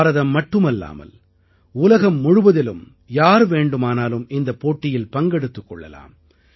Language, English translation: Tamil, Not only Indians, but people from all over the world can participate in this competition